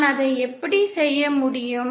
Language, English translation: Tamil, How can I do that